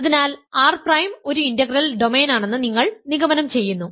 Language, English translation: Malayalam, So, you conclude that R prime is an integral domain